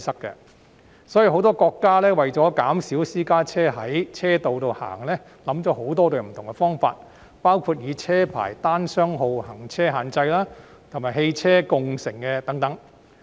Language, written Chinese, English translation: Cantonese, 因此，很多國家為了減少私家車在道路行走，想出很多不同方法，包括車牌單雙號行車限制及汽車共乘等。, Therefore to reduce the number of private cars running on roads many countries have come up with many different methods including odd - even licence plate restriction and ride - sharing